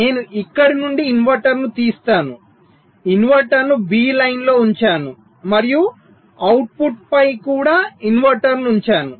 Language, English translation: Telugu, i modify the circuits so i put the, i take out the inverter from here, i put the inverter on line b and also i put an inverter on the output